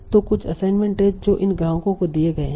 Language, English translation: Hindi, So there are certain assignments that are given to these customers